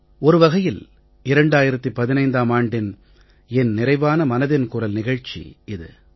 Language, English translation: Tamil, This will be the last edition of Mann ki Baat in 2015